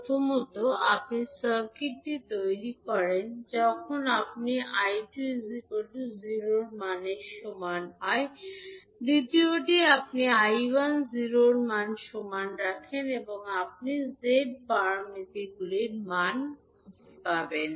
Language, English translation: Bengali, First is you create the circuit when you put I2 is equal to 0, in second you put I1 equal to 0 and you will find out the value of Z parameters